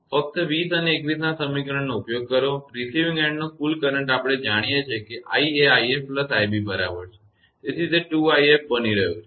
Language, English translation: Gujarati, Just use equation 20 and 21 thus the total current at the receiving end, we know i is equal to i f plus i b, so it is becoming 2 i f